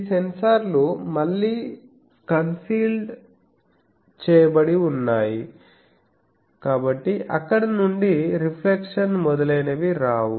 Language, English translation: Telugu, These sensors are again council so that no reflections etc